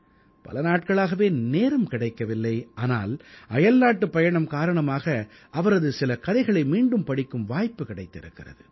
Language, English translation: Tamil, Of course, I couldn't get much time, but during my travelling, I got an opportunity to read some of his short stories once again